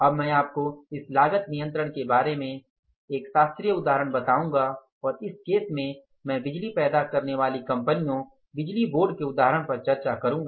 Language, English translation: Hindi, Now I will tell you one classical example about this cost control and in this case we will share the, I will discuss this example of the power generating companies, right